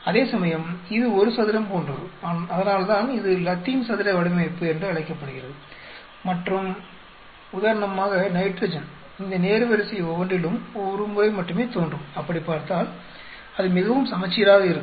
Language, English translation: Tamil, Whereas here it is like a square and that is why it is called Latin square design and nitrogen for example, appears only once in each of these row that way it is very symmetric